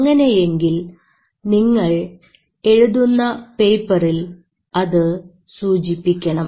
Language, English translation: Malayalam, But if you do so, do mention in your paper